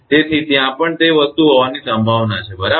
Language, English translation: Gujarati, So, there is a possibility of that thing also right